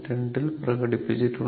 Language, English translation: Malayalam, 2 that we have done it